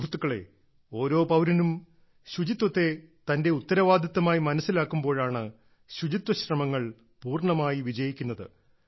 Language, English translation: Malayalam, the efforts of cleanliness can be fully successful only when every citizen understands cleanliness as his or her responsibility